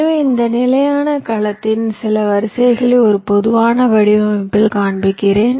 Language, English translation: Tamil, so i am showing some rows of this standard cells in a typical design